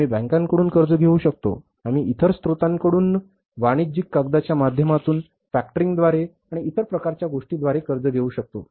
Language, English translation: Marathi, We can borrow from banks, we can borrow from the other sources by way of commercial paper, by way of the factoring and other kind of things